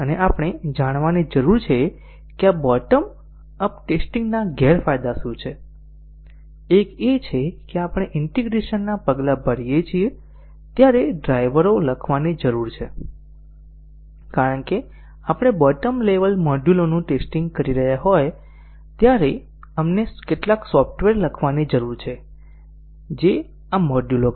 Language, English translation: Gujarati, And we need to be aware what are the disadvantages of this bottom up testing, one is that we need to have drivers written as we do integration steps, since we are testing the bottom level modules we need to have some software written which will call these modules